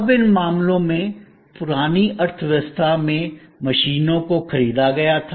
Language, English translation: Hindi, Now, in these cases, the machines in the old economy were purchased